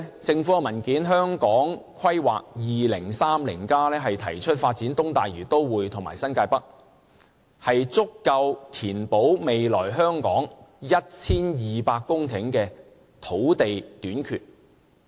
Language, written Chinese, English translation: Cantonese, 政府文件《香港 2030+： 跨越2030年的規劃遠景與策略》提出，發展東大嶼都會和新界北，足夠填補未來香港 1,200 公頃的土地短缺。, According to a government document Hong Kong 2030 Towards a Planning Vision and Strategy Transcending 2030 the development of East Lantau Metropolis and New Territories North is enough to meet the shortfall of 1 200 hectares of land in Hong Kong in the future